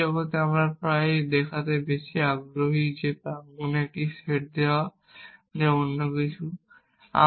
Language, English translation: Bengali, In the real world we are often more interested in showing that given a set of premises that something else is true